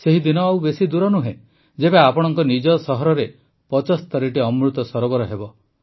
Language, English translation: Odia, The day is not far when there will be 75 Amrit Sarovars in your own city